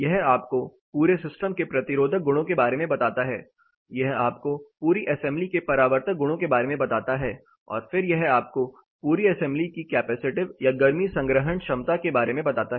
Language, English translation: Hindi, It gives you an idea about the resistive properties of the whole system, it gives you reflective properties of the whole assembly and then it gives you the capacitive or the heat storing capacity of the whole assembly